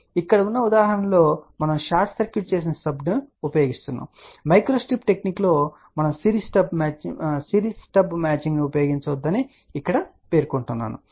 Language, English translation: Telugu, So, the examples are here we are using a short circuited stub I just want to mention here that in the micro strip technique we do not use series stub matching